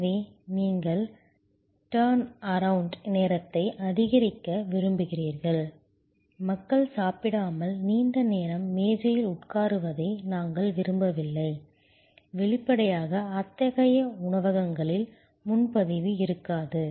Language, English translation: Tamil, So, you want to maximize the turnaround time, we do not want people to sit at a table for long time without consumption; obviously, in such restaurants, there will be no reservation